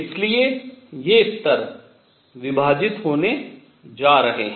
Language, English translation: Hindi, So, all these levels are going to split